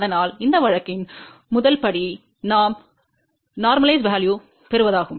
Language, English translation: Tamil, So, the first step in that case would be is we get the normalize value